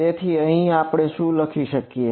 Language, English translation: Gujarati, So, from here what can we write